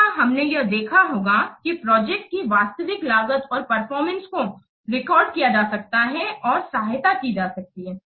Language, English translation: Hindi, Here we must have to see that the actual costing and performance of projects can be recorded and assessed